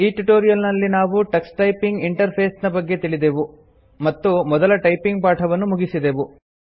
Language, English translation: Kannada, In this tutorial we learnt about the Tux Typing interface and completed our first typing lesson